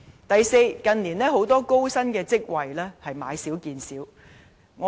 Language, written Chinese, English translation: Cantonese, 第四，近年高薪職位越來越少。, Fourth the number of high - paid jobs has been decreasing in recent years